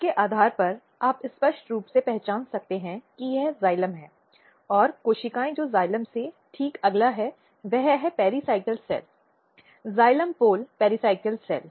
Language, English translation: Hindi, So, based on that you can clearly identify this is a basically xylem and the cell which is just next to the xylem is pericycle cell; xylem pole pericycle cell